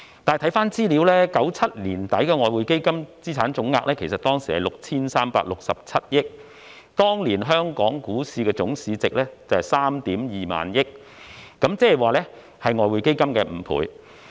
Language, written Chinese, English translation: Cantonese, 但是，翻查資料 ，1997 年年底的外匯基金資產總額是 6,367 億元，當年的香港股票市場總市值則為 32,000 億元，亦即外匯基金的5倍。, However information reveals that the total value of the assets of EF at the end of 1997 was 636.7 billion and in that same year the Hong Kong stock market had a total market capitalization of 3,200 billion five times of the total value of the EF assets